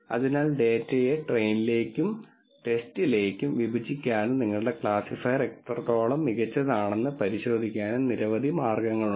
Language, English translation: Malayalam, So, there are many ways of splitting the data into train and test and then verifying how good your classifier is